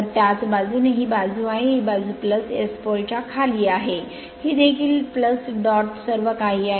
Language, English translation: Marathi, So, similarly this side it is it this side it is plus right, this side it is plus under S pole this is also plus dot plus dot everything is there right